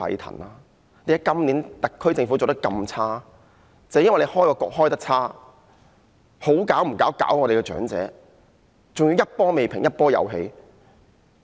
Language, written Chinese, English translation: Cantonese, 正正因為政府開局做得差，甚麼不好做，竟然搞長者，還要一波未平一波又起。, This should be attributed to the bad move taken in the very beginning . The Government has a wide range of tasks to undertake yet it dares to disturb the elderly stirring up troubles one wave after another